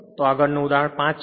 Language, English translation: Gujarati, So, next is example 5